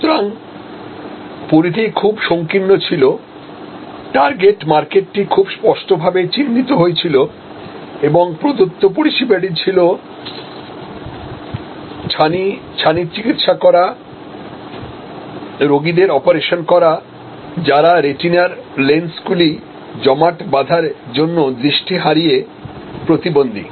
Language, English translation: Bengali, So, geography was very focused, the target market was very clearly identified and the service offered was cataract, treating cataract, operating on patients, impaired with impaired vision due to calcification of their lenses, retinal lenses called cataract